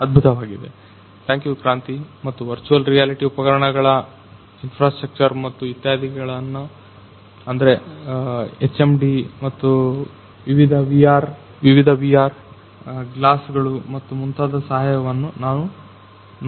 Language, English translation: Kannada, So, that is great ;so thank you Kranti and as we have seen that with the help of virtual reality instruments infrastructure and so on like the HMD, the different VR glasses and so on